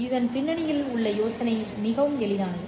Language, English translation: Tamil, The idea behind this is very simple